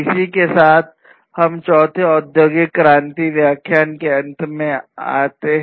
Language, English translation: Hindi, With this we come to an end of the fourth industrial revolution lecture